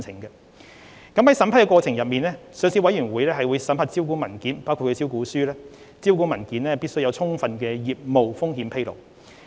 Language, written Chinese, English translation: Cantonese, 在審批過程中，上市委員會會審核招股文件，確保招股文件有充分的業務風險披露。, During the approval process the Listing Committee will vet listing documents including prospectus to ensure that there is sufficient business risk disclosure